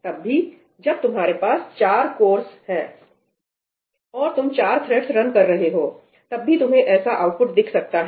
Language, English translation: Hindi, Even if you have four cores and you are running four threads, even then you may see that output